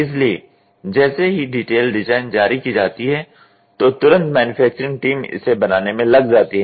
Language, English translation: Hindi, So, once the detailed design is released, then immediately manufacturing team takes over